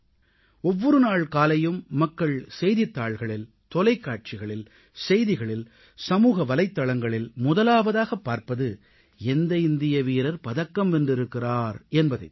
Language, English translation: Tamil, Every morning, first of all, people look for newspapers, Television, News and Social Media to check Indian playerswinning medals